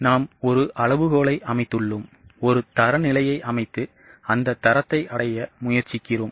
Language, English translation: Tamil, In cost control, we set a benchmark, we set a standard and try to achieve that standard